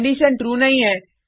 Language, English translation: Hindi, The condition is not true